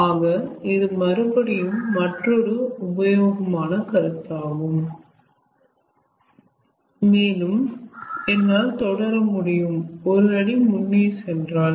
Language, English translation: Tamil, so this is again another useful concept and i can proceed just ah one step further, like to proceed one step further